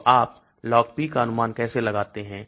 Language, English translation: Hindi, So how do you estimate Log P